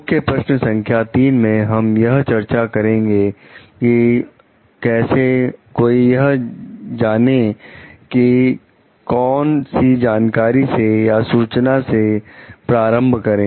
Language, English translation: Hindi, In key question 3 we are going to discuss about: how does one know what knowledge or information is preparatory